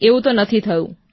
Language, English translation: Gujarati, This did not happen